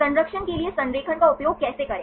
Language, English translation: Hindi, How to use the alignment for conservation